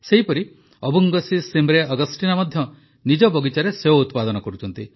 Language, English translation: Odia, Similarly, Avungshee Shimre Augasteena too has grown apples in her orchard